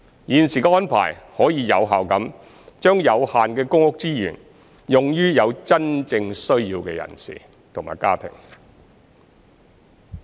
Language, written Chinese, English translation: Cantonese, 現時的安排可以有效地將有限的公屋資源用於有真正需要的人士及家庭。, Under the current arrangements the limited PRH resources can be effectively provided to people and families with genuine needs